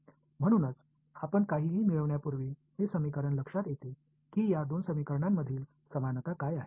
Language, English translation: Marathi, So, before we get into anything does this equation remind what are the similarities between these two equations are any similarities